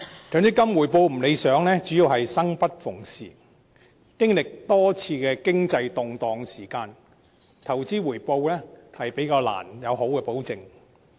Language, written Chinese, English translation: Cantonese, 強積金回報有欠理想，主要是計劃"生不逢時"，經歷了多次經濟動盪，所以投資回報較難得到保證。, Unsatisfactory MPF returns are mainly the result of the untimely inception of the scheme which has undergone multiple economic turmoils rendering any guarantee on investment returns relatively difficult